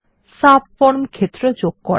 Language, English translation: Bengali, Add subform fields